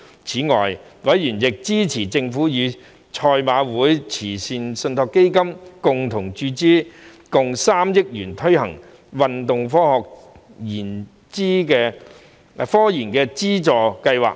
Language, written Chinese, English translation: Cantonese, 此外，委員亦支持政府與香港賽馬會慈善信託基金共同注資3億元推行運動科研資助計劃。, Moreover members also supported the Government to finance jointly with the Hong Kong Jockey Club Charities Trust the setting up of the 300 million Sports Science and Research Funding Scheme